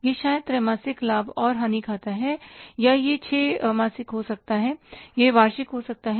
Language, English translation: Hindi, It may be quarterly but profit and loss account it may be six month or it may be annual